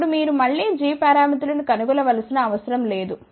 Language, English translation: Telugu, Now, you do not have to find g parameters again